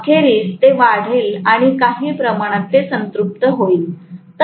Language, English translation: Marathi, But eventually it will increase and it will saturate at some portion of time